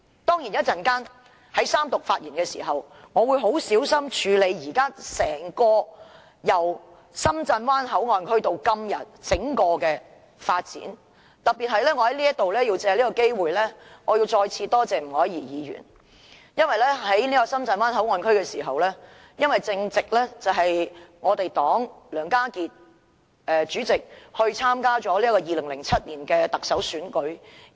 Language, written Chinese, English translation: Cantonese, 當然，在稍後的三讀發言，我會很小心地處理關乎由深圳灣口岸到今天整個發展過程的部分，而我要藉此機會再次特別感謝前議員吳靄儀，因為在討論深圳灣口岸區的議題時，正值敝黨前主席梁家傑參與2007年特首選舉之時。, Certainly when I speak in the Third Reading later on I will be very careful with the part relating to the process of development from the Shenzhen Bay Port to these scenarios today . I have to take this opportunity to particularly thank former Member of this Council Dr Margaret NG once again . It is because the issue of the Shenzhen Bay Port was discussed during the time when our former Party Chairman Mr Alan LEONG was running in the Chief Executive Election in 2007